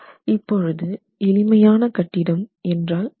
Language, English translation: Tamil, So, if the building is simple, now what is a simple building